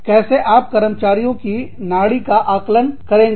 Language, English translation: Hindi, How do you gauge, the pulse of the employees